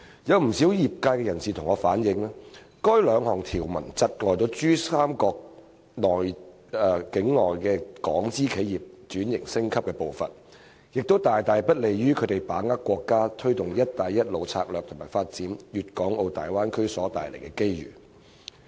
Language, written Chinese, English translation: Cantonese, 有不少業內人士反映，該兩項條文窒礙珠江三角洲內港資企業升級轉型的步伐，亦不利於它們把握國家推行"一帶一路"策略及發展粵港澳大灣區所帶來的機遇。, Quite a number of members of the sector have relayed that the two provisions have hindered the pace of the upgrading and restructuring of Hong Kong enterprises in the Pearl River Delta Region and are not conducive to their capitalizing on the opportunities brought about by the nations Belt and Road Initiative and the development of the Guangdong - Hong Kong - Macao Bay Area